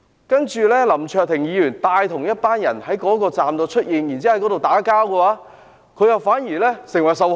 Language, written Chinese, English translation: Cantonese, 然而，林卓廷議員帶同一群人在元朗站內出現，並且在那裏與人打鬥，反而成為受害人。, However Mr LAM Cheuk - ting who led a group of people to Yuen Long Station and fought with the people therein became the victim instead . As the Chinese saying goes when it snows in June there must be grievances